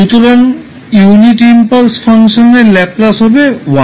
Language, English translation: Bengali, So, the Laplace of the unit impulse function is 1